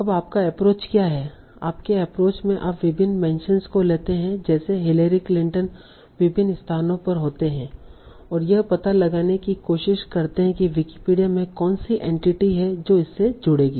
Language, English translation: Hindi, In your approach you take various mentions like Larry Clinton occurs at various locations and try to find out what is the entity in Wikipedia it will link to